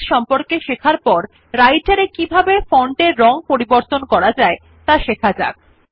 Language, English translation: Bengali, After learning about the font size, we will see how to change the font color in Writer